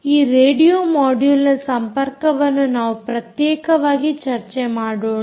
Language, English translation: Kannada, we will discuss that interface to this radio module separately